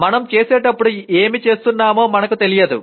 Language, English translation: Telugu, We do not know what we are doing when we do it